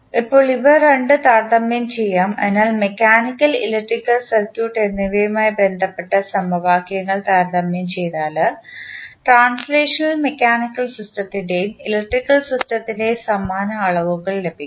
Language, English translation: Malayalam, Now, let us compare both of them, so, if you compare the equations related to mechanical and the electrical circuit, we will get the analogous quantities of the translational mechanical system and electrical system